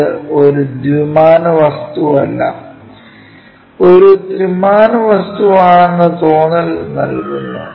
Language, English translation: Malayalam, That gives us a feeling that it is not two dimensional object, it is a three dimensional object